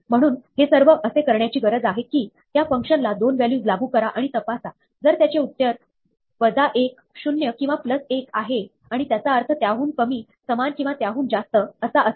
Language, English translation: Marathi, So, all it needs to do is, apply this function to 2 values, and check if their answer is minus 1, zero, or plus 1 and interpret it as less than, equal to or greater than